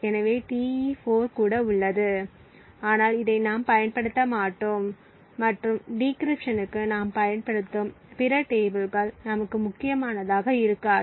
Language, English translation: Tamil, So, Te4 is also present but we will not be using this and the other tables I use for decryption which is not going to be important for us